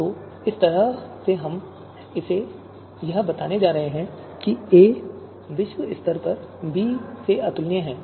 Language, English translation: Hindi, You can see here a is globally incomparable to b